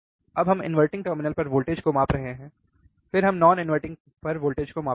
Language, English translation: Hindi, Now we are measuring the voltage at inverting terminal, then we will measure the voltage at non inverting